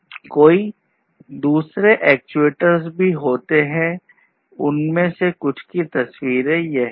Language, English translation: Hindi, There are many others, but these are some of these pictures of actuators